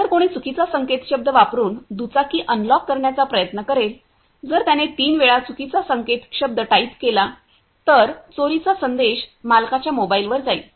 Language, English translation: Marathi, If someone will try to unlock the bike using wrong password; if he types wrong password three times, then also the theft message will go to the owners mobile